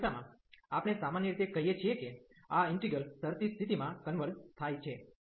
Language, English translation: Gujarati, In that case, we call usually that this integral converges conditionally